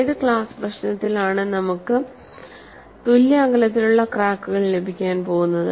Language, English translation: Malayalam, In which class of problem, we are going to get evenly spaced cracks